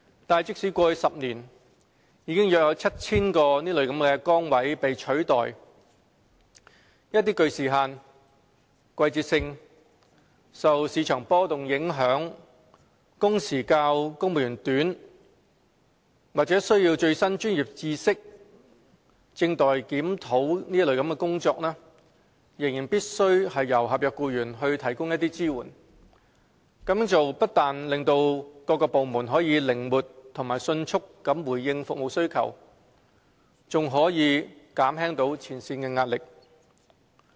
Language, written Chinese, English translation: Cantonese, 但即使過去10年已有約 7,000 個崗位被取代，一些具時限、季節性、受市場波動影響、工時較公務員短、需要最新專業知識或正待檢討的工作仍然必須由合約僱員提供支援，這樣做不單可使各部門靈活及迅速地回應服務需求，並可減輕前線的壓力。, Nonetheless despite the replacement of approximately 7 000 posts over the past decade support by NCSC staff is still required for certain types of work which may be time - limited seasonal or subject to market fluctuations require staff to work less hours necessitate the tapping of the latest expertise or are under review . Doing so can not only enable various departments to respond to service needs in a flexible and prompt manner but also ease the pressure on frontline staff